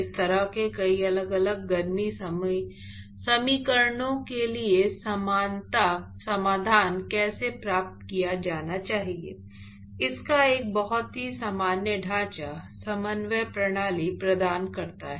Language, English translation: Hindi, That sort of provides a very general framework of how similarity solution has to be obtained for these kinds of heat equations in many different coordinate system